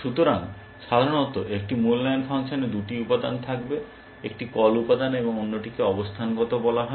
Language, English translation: Bengali, So, typically an evaluation function will have two components, one is call material and other is called positional